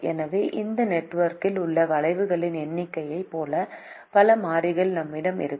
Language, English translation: Tamil, so we will have as many variable as the number of arcs in this network